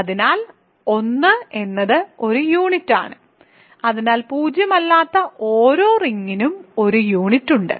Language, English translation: Malayalam, So, 1 is a unit, so, every non zero ring has a unit